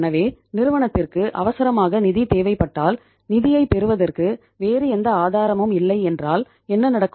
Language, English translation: Tamil, So if firm urgently need the funds and there is no other source of getting the funds in that case what will happen